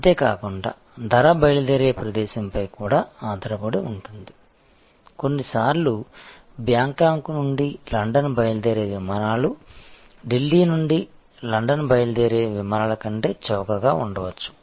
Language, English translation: Telugu, Also price will depend on departure location, so sometimes flights taking off from Bangkok for London may be cheaper than flight taking off from Delhi for London again depends on pattern of demand